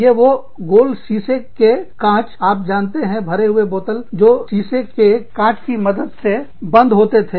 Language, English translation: Hindi, Which is, these round glass marble, you know, filled bottles, that were popped closed, with the help of a glass marble